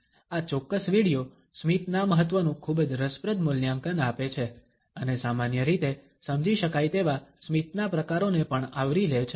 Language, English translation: Gujarati, This particular video gives a very interesting assessment of the significance of a smiles and also covers normally understood types of a smiles